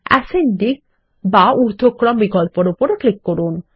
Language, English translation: Bengali, Let us click on the Ascending option